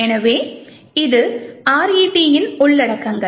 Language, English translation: Tamil, So, this would be the contents of RET